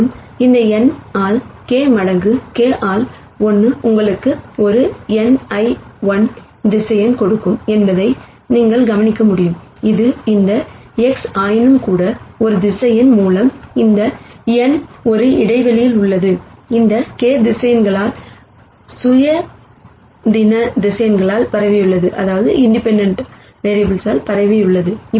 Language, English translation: Tamil, And you can notice that this n by k times k by 1 will give you an n by 1 vector which is what this X hat nonetheless, this n by one vector is in a space spanned by these k vectors linearly independent vectors